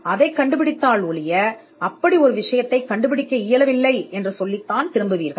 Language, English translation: Tamil, Unless you find it, you will only return by saying that such a thing could not be found